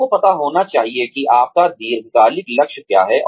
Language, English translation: Hindi, You should know, what your long term goal is